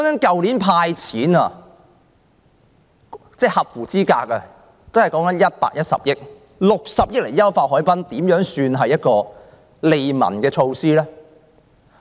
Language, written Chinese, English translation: Cantonese, 去年"派錢"給所有合資格市民也只用了110億元，現在政府卻用60億元優化海濱，這算是甚麼利民措施？, It only spent 11 billion to hand out money to all eligible people last year but it is going to spend 6 billion on Harbourfront enhancement now . What kind of livelihood strengthening measure is that?